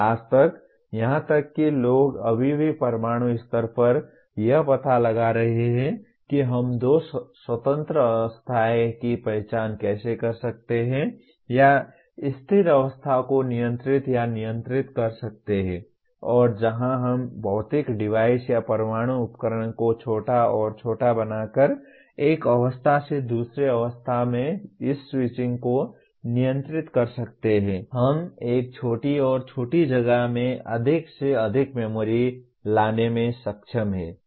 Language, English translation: Hindi, Till today, even now people are still finding out at atomic level how can we identify two independent states and control or rather stable states and where we can control this switching over from one state to the other by making that physical device or atomic device smaller and smaller we are able to kind of bring more and more memory into a smaller and smaller place